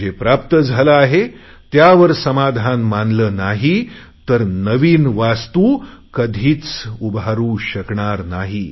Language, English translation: Marathi, But if you are not satisfied over what you have got, you will never be able to create something new